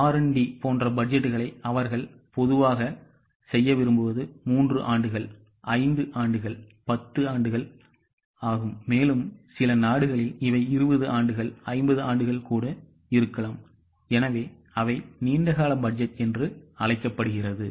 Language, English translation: Tamil, Such types of budgets are normally made for 3 years, 5 years, 10 years, for a country it can be even 20 years, 50 years, that is called as a long term budget